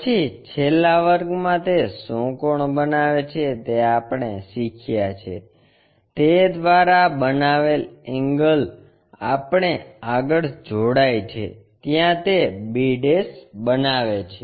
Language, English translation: Gujarati, Then what is the angle it is making in the last class what we have learnt, angle made by that we go ahead cut it there make b'